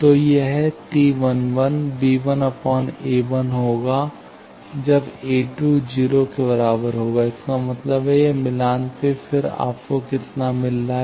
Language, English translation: Hindi, So, this T 11 will be b 1 by a 1 when a 2 is equal to 0; that means, this I side match then how much you are getting